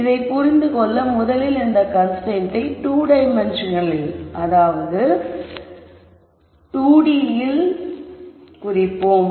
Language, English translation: Tamil, To understand this we rst start by representing this constraint in this 2 dimensional space